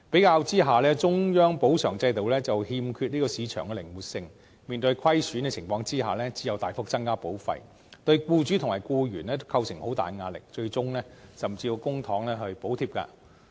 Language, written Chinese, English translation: Cantonese, 相比之下，中央保償制度欠缺市場靈活性，面對虧損時只能大幅增加保費，對僱主和僱員都構成很大的壓力，最終甚至要用公帑補貼。, Comparatively speaking a central compensation scheme lacks market flexibility and thus a substantial increase in premium is required in the event of losses which will exert immense pressure on both employers and employees . Subsidies from the public purse may be required eventually